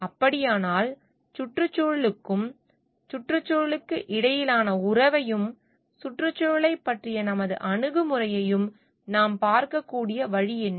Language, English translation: Tamil, Then what is the way that we can look at the relationship of environment and our attitude towards environment